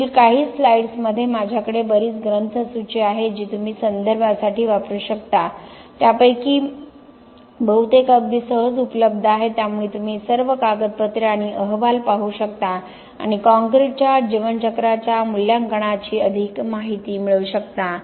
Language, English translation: Marathi, In the next few slides I have a lot of bibliography that you can use for references most of them quite easily available so you can see all this papers and reports to get more information of the on the life cycle assessment of concrete, thank you